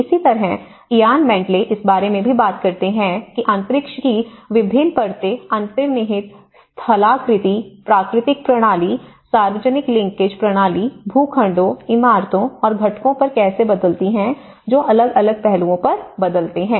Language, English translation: Hindi, Similarly, Ian Bentley also talks about how different layers of the space time the underlying topography, the natural system and the public linkage system and the plots and the buildings and the components which changes at different time aspects